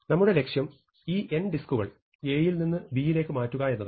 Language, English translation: Malayalam, So, at this moment you want to move n disks from A to B